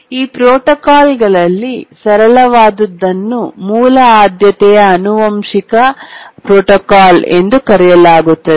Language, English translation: Kannada, The simplest of these protocols is called as the Basic Priority Inheritance Protocol